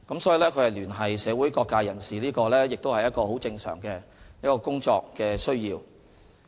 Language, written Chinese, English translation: Cantonese, 所以，聯繫社會各界人士是很正常的工作需要。, Therefore it is a very normal aspect of CPGLOs work to liaise with various social sectors